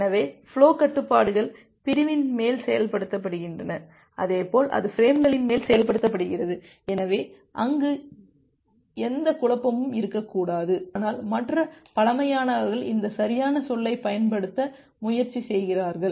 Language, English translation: Tamil, So, the flow controls are executed on top of segment as well as it is executed on top of frames, so we should not have any confusion there; but for the other primitives try to utilize this proper term which is there